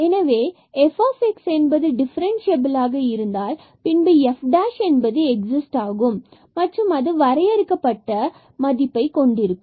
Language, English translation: Tamil, So, if f x is differentiable then f prime exist and has definite value A